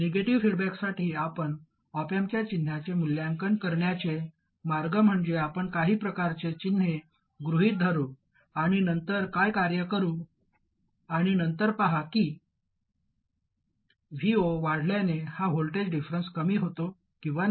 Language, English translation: Marathi, The way you evaluate the op amp signs for negative feedback is you assume some set of signs and then you work around and then see if this difference voltage reduces as V 0 increases